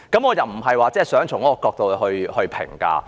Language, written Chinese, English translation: Cantonese, 我並非想從這角度來作出評價。, I do not mean to make comments from this perspective